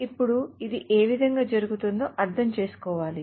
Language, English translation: Telugu, Now this has to be understood in which way it is happening